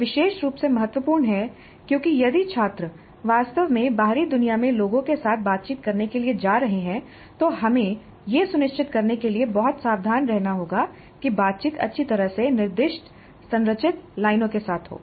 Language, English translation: Hindi, That is particularly important because if the students are really going into the outside world to interact with people there we need to be very careful to ensure that the interaction occurs along well directed structured lines